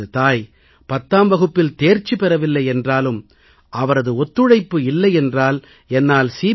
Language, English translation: Tamil, My mother did not clear the Class 10 exam, yet without her aid, it would have been impossible for me to pass the CBSE exam